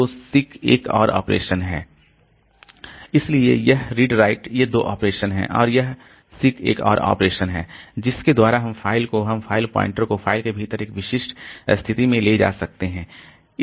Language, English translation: Hindi, So, these are two operations and this seek is another operation by which we can put the, we can take the file pointer to a specific position within the file